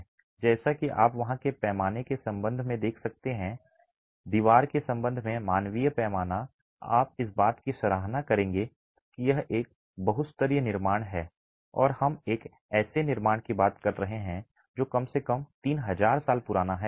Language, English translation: Hindi, As you can see with respect to the scale there, the human scale with respect to the wall, you will appreciate that it is a multi storey construction and we are talking of a construction that is at least 3,000 years old and this sits in the middle of the desert